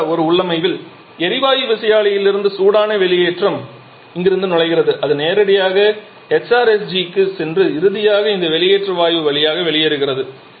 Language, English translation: Tamil, In a configuration something like this where the hot exhaust goes from the gas turbine is entering from here and it is directly going down to the HRSG and finally living through this exhaust gas